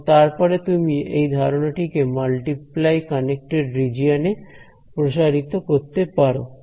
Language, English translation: Bengali, And then you can extend this idea to multiply connected regions ok